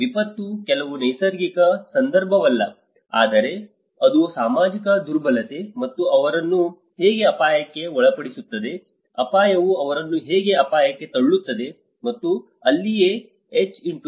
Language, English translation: Kannada, Disaster is not just a natural context, but it is the social vulnerability, how it puts them into the risk, how hazard makes them into a disaster and that is where the H*V=R